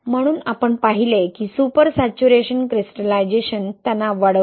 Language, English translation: Marathi, So we saw that super saturation gives rise to crystallization stress